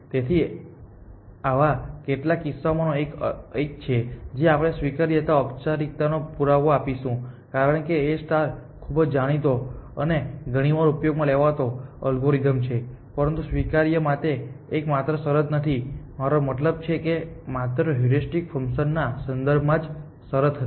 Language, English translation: Gujarati, So, this is one of the few cases where we will give a formal proof of admissibility because, A star is a very well known and often used algorithm, but this is not the only condition for admissibility I mean this was the condition only with respect to the heuristic function